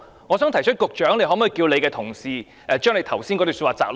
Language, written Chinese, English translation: Cantonese, 我想提出，局長可否請他的同事提供他剛才發言的摘錄？, I wish to make this request . Can the Secretary ask his colleagues to provide an extract of the speech he has just given?